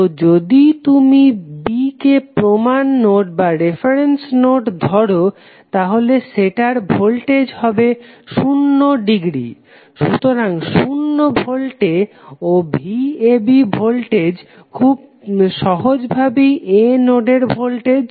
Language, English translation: Bengali, So, if you take B as a reference node then it is potential can be at 0 degree, so at 0 volt and voltage V AB is nothing but simply voltage at node A